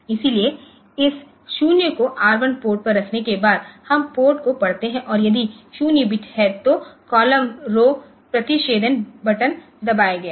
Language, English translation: Hindi, So, after putting this 0 on the R one port we read the seaport and if there is a 0 bit then the button at the column low intersection has been pressed